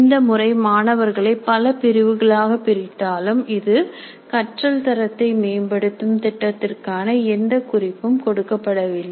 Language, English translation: Tamil, While this method classifies students into different categories, it does not provide any clue to plan for improvement of quality of learning